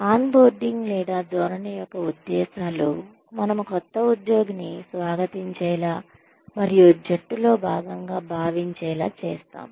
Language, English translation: Telugu, Purposes of on boarding or orientation are, we make the new employee feel welcome, and part of the team